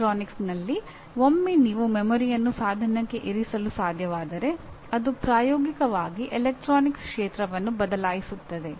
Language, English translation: Kannada, This is in electronics once you are able to put memory into something into a device it practically it has changed the entire field of electronics